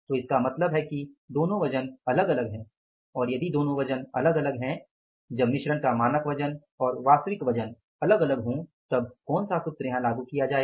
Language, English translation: Hindi, So, if the 2 variants weights are different when the standard weight of the mix is different from the actual weight of the mix